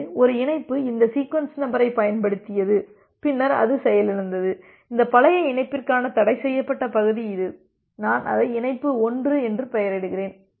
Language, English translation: Tamil, So, it is just like that one connection it has used this sequence number and then it got crashed and this is the forbidden region for this old connection, say I name it as connection 1